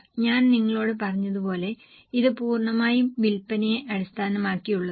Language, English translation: Malayalam, As I have told you it is totally based on sales first of all